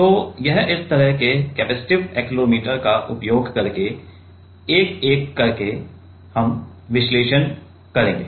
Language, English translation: Hindi, So, that will analyze one by one using like what this kind of capacitive accelerometer